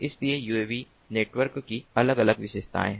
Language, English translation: Hindi, so there are different features of uav networks